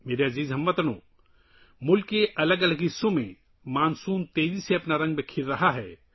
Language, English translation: Urdu, My dear countrymen, monsoon is spreading its hues rapidly in different parts of the country